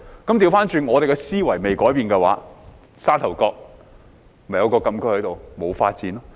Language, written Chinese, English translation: Cantonese, 相反，我們的思維不改變的話，例如沙頭角禁區，便沒有發展。, On the contrary if we do not change our mindset as in the case of say the Sha Tau Kok Closed Area there will be no development